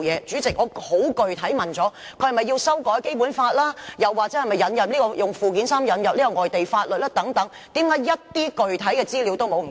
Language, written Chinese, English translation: Cantonese, 主席，我已十分具體地提問了，他是否要修改《基本法》或透過附件三引入外地法律等，為何一些具體資料也沒有？, President I have asked a question specifically . Is he going to amend the Basic Law or bring in foreign laws by way of Annex III? . Why is there not any specific information?